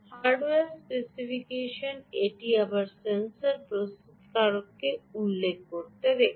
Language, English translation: Bengali, the hardware specification: this is again from what the sensor manufacturer has mentioned